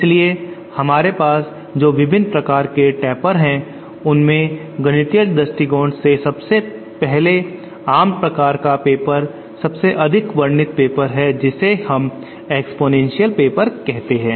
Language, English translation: Hindi, So the various kind of tapers that we have, the first most common type of paper from mathematical point of view the most commonly described paper is what we call exponential paper